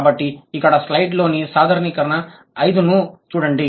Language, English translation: Telugu, So look at the generalization five